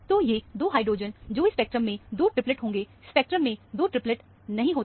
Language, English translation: Hindi, So, these 2 hydrogens, which would have been 2 triplets in this spectrum, the spectrum does not have 2 triplets